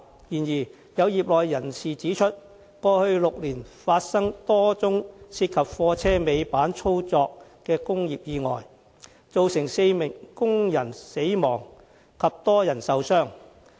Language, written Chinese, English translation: Cantonese, 然而，有業內人士指出，過去6年發生多宗涉及貨車尾板操作的工業意外，造成4名工人死亡及多人受傷。, However some members of the sector have pointed out that a number of industrial accidents involving the operation of tail lifts occurred in the past six years resulting in the death of four workers and a number of injuries